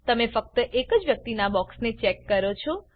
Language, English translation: Gujarati, You check the box of only that person